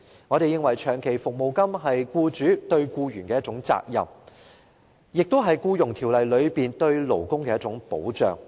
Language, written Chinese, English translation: Cantonese, 我們認為，長期服務金是僱主對僱員的責任，亦是《僱傭條例》中對勞工的一種保障。, We consider that the provision of long service payments is a responsibility of employers to employees as well as a kind of labour protection stipulated in the Employment Ordinance